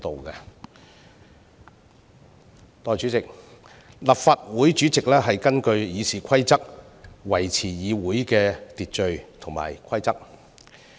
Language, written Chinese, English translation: Cantonese, 代理主席，立法會主席根據《議事規則》維持議會的秩序和規則。, Deputy President the President of the Legislative Council upholds the order and rules of the Council in accordance with the Rules of Procedure